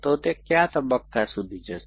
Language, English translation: Gujarati, So, till what stage